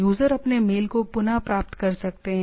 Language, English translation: Hindi, Users can retrieve their mails